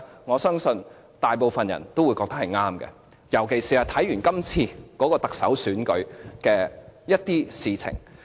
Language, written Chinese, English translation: Cantonese, 我相信大部分人也覺得當年的決定是正確，尤其是看到今次特首選舉的某些事情。, I trust most of the people will agree that our decision made at that time is correct especially having witnessed some incidents happened in the course of the Chief Executive Election